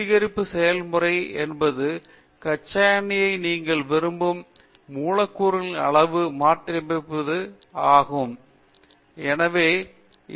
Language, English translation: Tamil, The refining process means having a crude oil converting them to the size of the molecule that you want and value added molecules